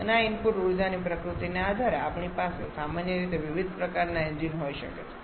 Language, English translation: Gujarati, And depending upon the nature of this input energy we generally can have different kinds of engine